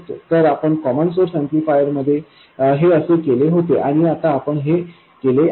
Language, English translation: Marathi, So this is what we did with the common source amplifier and that is what we do now